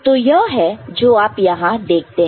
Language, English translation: Hindi, So, this is what you see over here